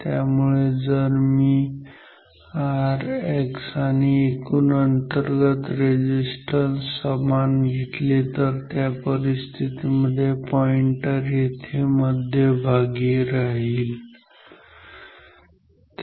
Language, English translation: Marathi, So, if I choose R X equal to the total same as the total internal resistance then under that situation the pointer will be here at the center ok